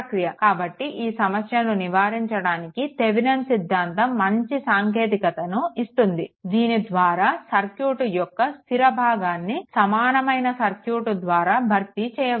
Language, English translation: Telugu, So, to a avoid this problem Thevenin’s theorem gives a good technique by which fixed part of the circuit can be replaced by an equivalent circuit right